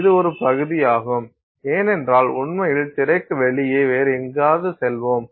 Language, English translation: Tamil, This is a section of it because actually outside of the screen you will still have something else going out